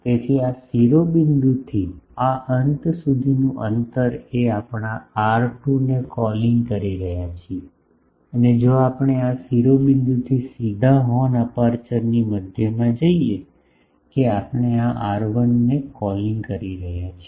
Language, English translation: Gujarati, So, this distance from this apex to the this end that we are calling R2 and if we go straight from this apex to the center of the horn aperture, that we are calling R1